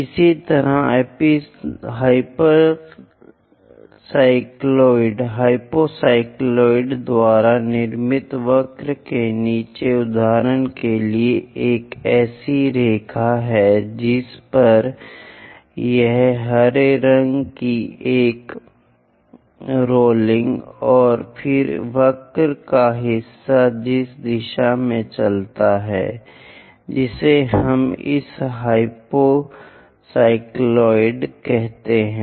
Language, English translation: Hindi, Similarly, the bottom of the curve constructed by hypo cycloid for example, there is a line on which this green one is rolling then part of the curve in which direction it moves that is what we call this hypo cycloid